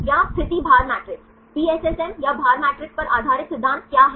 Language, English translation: Hindi, Or position weight matrix, what are the principle based on PSSM or weight matrix